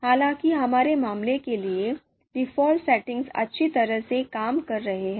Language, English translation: Hindi, So, however, for our case, the default setting is working well